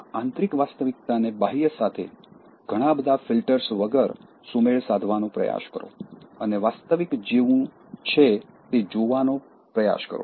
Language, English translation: Gujarati, Try to synchronize this inner reality with the external, without lot of filters and try to see the real as it is